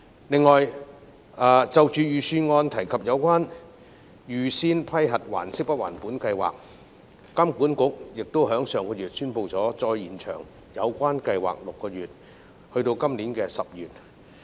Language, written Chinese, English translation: Cantonese, 此外，就預算案提及的"預先批核還息不還本"計劃，金管局在上月宣布再延長有關計劃6個月至今年10月。, Furthermore as regards the Pre - approved Principal Payment Holiday Scheme mentioned in the Budget the Hong Kong Monetary Authority announced last month that it would extend the scheme for another six months to October this year